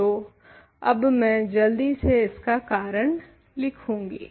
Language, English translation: Hindi, So, maybe I will just quickly write the reason